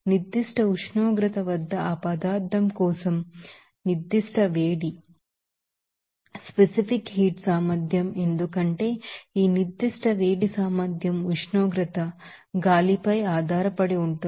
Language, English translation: Telugu, And also what is, you know, specific heat capacity for that substance at particular temperature, because this specific heat capacity depends on the temperature, the air